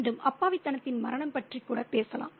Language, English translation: Tamil, Again, we might even talk about the death of innocence